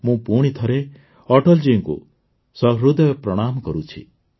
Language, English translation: Odia, I once again solemnly bow to Atal ji from the core of my heart